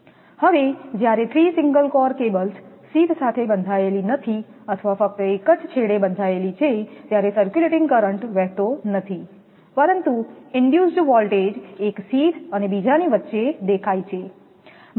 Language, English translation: Gujarati, Now, when the sheath of the 3 single core cables are not bonded or bonded at one end only, circulating currents cannot flow, but induced voltages appear between the sheath and another